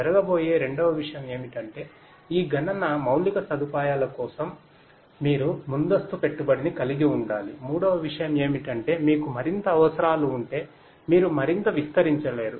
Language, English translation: Telugu, Second thing that will happen is you have to have lot of upfront investment for this computing infrastructure, as a third thing that is going to happen is that if you have further requirements you cannot expand further